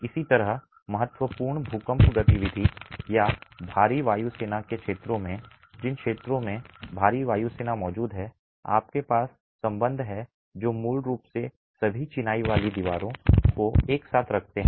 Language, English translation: Hindi, Similarly in regions of significant earthquake activity or heavy wind forces in regions or heavy wind forces are present you have ties that basically hold all the masonry walls together